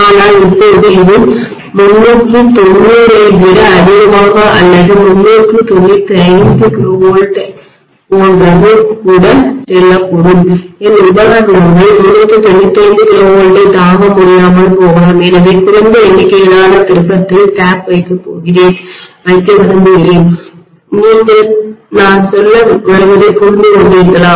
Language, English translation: Tamil, But now it might go high as higher 390 or even like 395 KV my equipment may not be able to withstand the 395 KV, so I might like to put the tap at a lower number of turn, are you getting my point